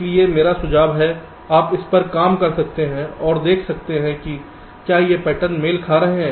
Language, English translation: Hindi, so so i suggest that you can work, work this out and see whether this patterns are matching